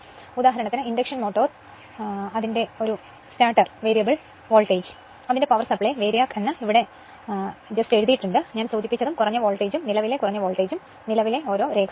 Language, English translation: Malayalam, For example, application here something is written that induction motor starters variable voltage power supply that is VARIAC right; just I mentioned and your low voltage and curr[ent] your low voltage and current levels right